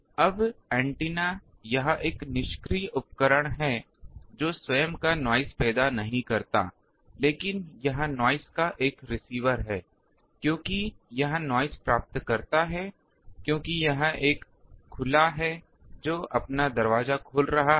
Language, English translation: Hindi, Now, antenna it is a passive device it does not create its own noise, but it is a receiver of noise because it receives noise, because it is an open it is opening its door